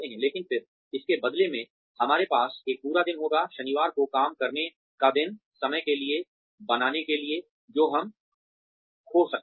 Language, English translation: Hindi, But then, in lieu of that, we will have a full day, working day on Saturday, to make up for the time, we may have lost